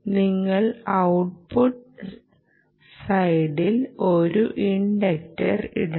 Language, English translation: Malayalam, you have to put an inductor at the output